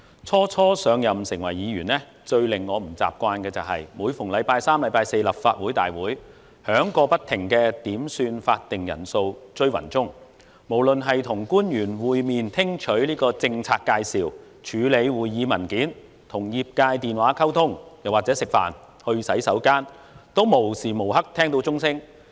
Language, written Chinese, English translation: Cantonese, 初上任成為議員，最令我不習慣的是，每逢星期三四立法會大會響過不停的點算法定人數"追魂鐘"，無論是與官員會面聽取政策介紹、處理會議文件、與業界電話溝通，又或是吃飯、上洗手間，都無時無刻聽到鐘聲。, When I first assumed office as a Legislative Council Member the most difficult thing to get used to was the incessant ringing of the quorum bell during Council meetings on Wednesdays and Thursdays . I heard the bell ring all the time no matter when we were having meetings with officials for policy briefings handling meeting documents talking on the phone with the industry or at meals or in toilet